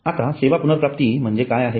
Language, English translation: Marathi, now what is services recovery